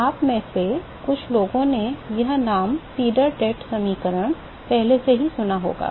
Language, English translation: Hindi, Some of you may have already heard this name Sieder Tate equation